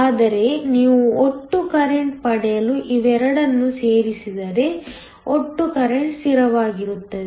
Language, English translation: Kannada, But, if you add both of them to get the total current, the total current is a constant